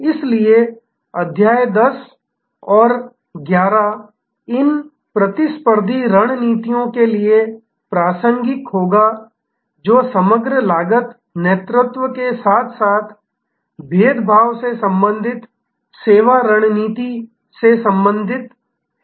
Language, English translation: Hindi, So, chapter 10 and 11 will be relevant for these competitive strategies that relate to overall cost leadership as well as the service strategy relating to differentiation